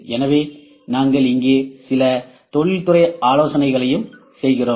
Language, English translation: Tamil, So, also we are doing some industrial consultancy here as well